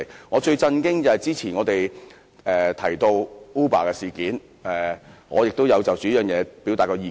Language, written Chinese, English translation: Cantonese, 我最為震驚的是我們之前提到的 Uber 事件，我也曾就這議題發表意見。, I am most shocked by the Uber incident which we mentioned earlier and I had expressed my views on this question in the past